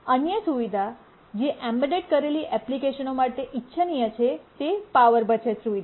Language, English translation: Gujarati, The other feature that is desirable for embedded applications is the power saving feature